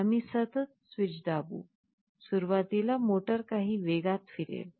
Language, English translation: Marathi, We would be continuously pressing the switch; initially the motor will be rotating at some speed